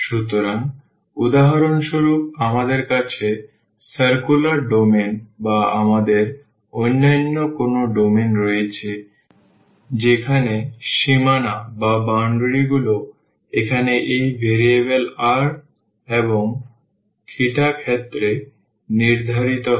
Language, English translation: Bengali, So, we have for example, the circular domain or we have some other domain where the boundaries are prescribed in terms of this variable here r and n theta